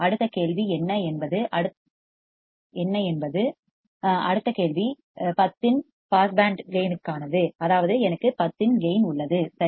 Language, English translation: Tamil, What is the next question next question is for a pass band gain of 10 that is I have a gain of 10, right